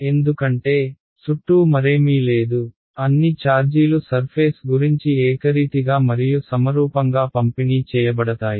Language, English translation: Telugu, Because, there is nothing else around, all the charge will be uniformly and symmetrically distributed about the circumference